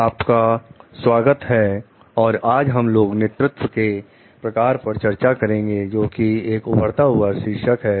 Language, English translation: Hindi, Welcome today we are going to discuss on the forms of leadership which have emerged tilted